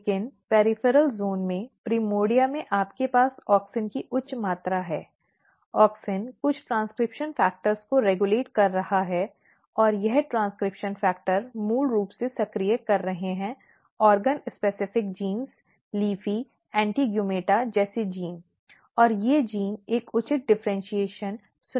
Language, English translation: Hindi, But in the peripheral zone in the primordia you have high amount of auxin; auxin is regulating some of the transcription factor and this transcription factors are basically activating, organ specific genes LEAFY, ANTIGUMETA, like genes and these genes are ensuring a proper differentiation